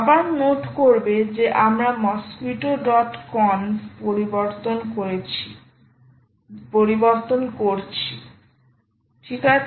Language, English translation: Bengali, again, note that we are modifying mosquitto dot conf